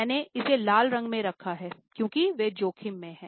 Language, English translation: Hindi, I have put it in the red because they are at a risk